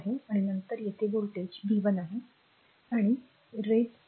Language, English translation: Marathi, And then here voltage is your ah v 1 and raise 2